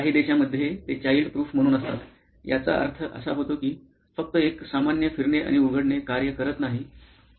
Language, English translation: Marathi, In some countries, they have it as child proof which means that just a normal rotating and opening will not work